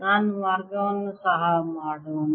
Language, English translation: Kannada, let me take the path also